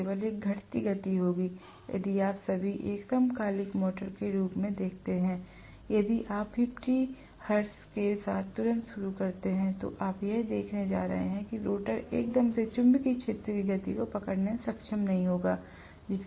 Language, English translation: Hindi, So, there will be only a dwindling motion, if at all you look at the rotor of a synchronous motor, if you start off with 50 hertz right away, you are going to see that the rotor will not be able to catch up with the revolving magnetic field speed right away